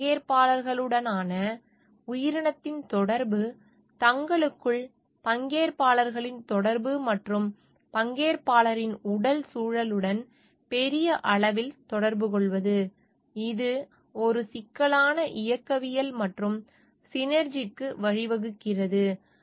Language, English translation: Tamil, The interaction of the organism with these stakeholders, interaction of the stakeholders among themselves, and the interaction of the stakeholders with the physical environment at large, which leads to a complex dynamics, and synergy